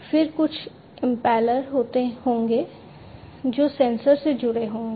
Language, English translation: Hindi, Then there would be some impellers, which would be attached to the sensors